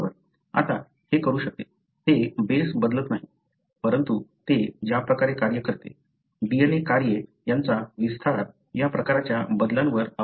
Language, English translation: Marathi, Now, it can, it does not change the base, but the way it functions, that stretch of the DNA functions, depends on this kind of modifications